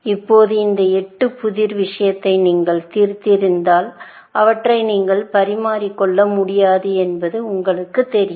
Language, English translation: Tamil, Now, if you have solved this 8 puzzle kind of thing, you know that you cannot exchange them, essentially